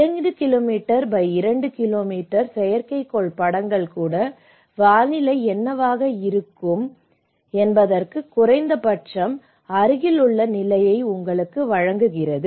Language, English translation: Tamil, So, even the satellite imagery of 2 kilometre by 2 kilometre, so they gives you an at least the nearest status of what is the weather going to be